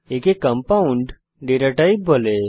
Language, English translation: Bengali, It is called as compound data type